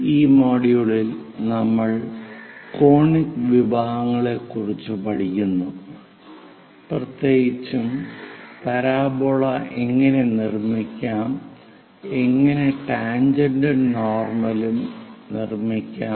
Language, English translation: Malayalam, In this module, we are learning about Conic Sections; especially how to construct parabola, how to draw a normal and tangent to it